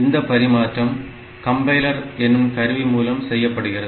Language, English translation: Tamil, So, this translation is done by the tool called compilers, this is done by the tools called compilers